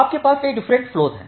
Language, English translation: Hindi, So, you have multiple different flows